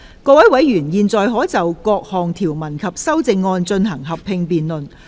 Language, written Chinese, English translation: Cantonese, 各位委員現在可以就各項條文及修正案，進行合併辯論。, Members may now proceed to a joint debate on the clauses and amendments